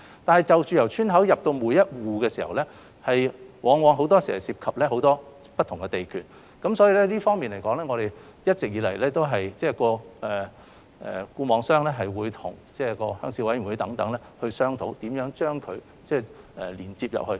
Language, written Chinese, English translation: Cantonese, 但是，就着由村口至達每一戶，往往涉及很多不同的地段，在這方面，一直以來固網商會與鄉事委員會等商討，如何把光纖連接進去。, Nevertheless from the entrances of villages to individual households normally many different lots of land are involved . In this respect FNOs have been negotiating with the Rural Committees concerned on how to lay the networks within the villages